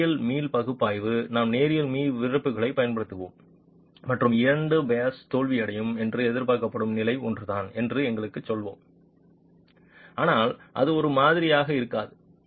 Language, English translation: Tamil, Linear elastic analysis will just use the linear elastic stiffnesses and tell us that the level at which the two pairs are expected to fail is the same but it will not be the same